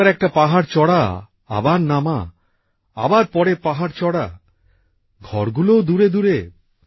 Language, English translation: Bengali, One climbs up a hill…then descends…then walk up another hill…houses too are located afar